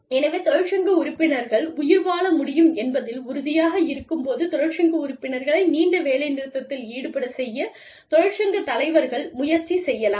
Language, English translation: Tamil, So, union leaders might try to convince, union members, to go on a long strike, when they are sure that, the union members will be able to survive